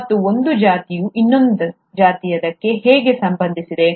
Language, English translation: Kannada, And how is one species actually related to another